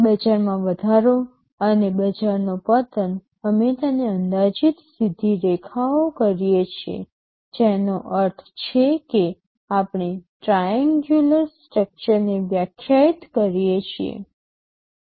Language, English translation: Gujarati, Market rise and market fall we approximate it straight lines that means we define a triangular structure